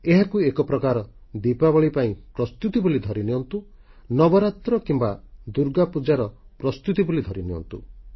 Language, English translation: Odia, We could look at this as preparations for Diwali, preparations for Navaratri, preparations for Durga Puja